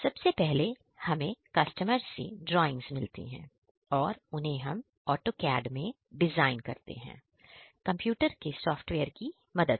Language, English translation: Hindi, First of all we get drawings from the customer party and accordingly we design them in AutoCAD, then convert the design with the help of machine software